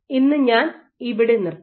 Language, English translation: Malayalam, So, that is it for today I stop here